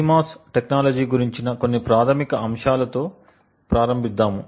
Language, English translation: Telugu, Just start out with some basic fundamentals about CMOS technology